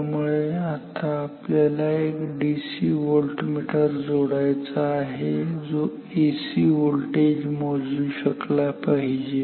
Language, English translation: Marathi, So, now we have to connect a DC voltmeter which can measure an AC voltage